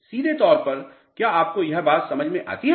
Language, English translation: Hindi, Directly do you do you get this point